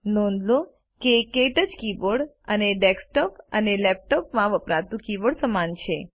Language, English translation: Gujarati, Notice that the KTouch keyboard and the keyboards used in desktops and laptops are similar